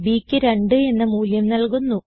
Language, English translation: Malayalam, b is assigned the value of 2